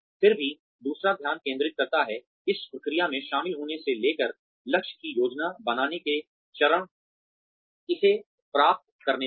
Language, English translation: Hindi, Yet, another focuses on, the process involved in getting from, the stage of planning the goal, to achieving it